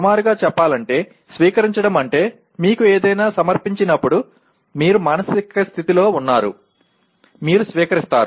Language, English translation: Telugu, Roughly speaking, receiving means when something is presented to you, you are in a mood to, you are receiving